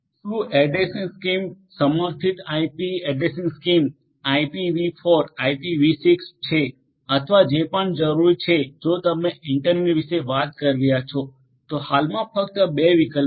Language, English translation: Gujarati, Has addressing schemes supported IP addressing scheme supported by IPV4, IPV6 or whatever is required these are the only 2 options at present if you are talking about the internet